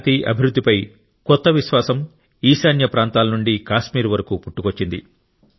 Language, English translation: Telugu, A new confidence of peace and development has arisen from the northeast to Kashmir